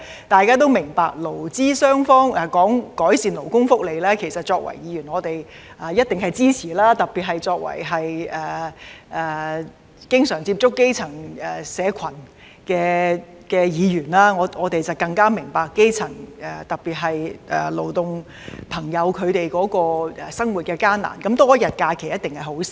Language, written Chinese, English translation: Cantonese, 大家都明白，過去勞資雙方商討改善勞工福利時，作為議員，我們一定支持，特別是作為經常接觸基層社群的議員，我們更明白基層，特別是勞工朋友的生活困難，多一天假期一定是好事。, We all know that when employers and employees discussed improving labour welfare in the past we as Members certainly expressed support . In particular Members who have frequent contact with grass - roots communities are more aware of the plight of the grass roots and especially those in the labour sector . It is definitely a good thing to have one more holiday